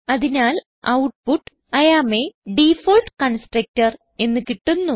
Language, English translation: Malayalam, So we get output as I am a default constructor